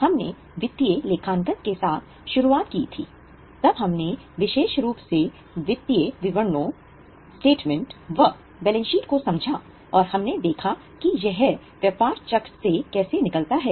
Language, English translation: Hindi, Then we went to understand financial statements particularly the starting point of balance sheet which we saw how it gets emerged from business cycle